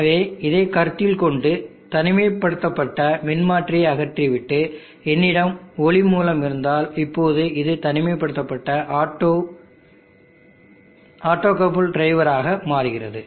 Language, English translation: Tamil, So if you consider this and remove the transformer isolation and I have light source how this becomes an opto isolated gate drive